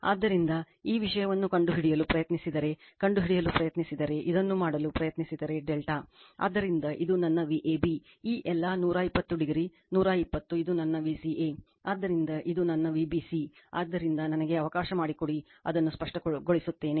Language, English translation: Kannada, So, if you try to find out if you try to find out this thing, your what you call if you try to make this delta, so, this is my V ab this all 120 degree, 120 this is my V ca, so this my V bc no, so just let me clear it